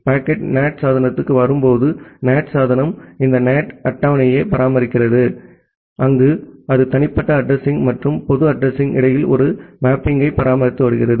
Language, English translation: Tamil, When the packet is coming to the NAT device the NAT device is maintaining this NAT table where it has maintained a mapping between with the private address and the public address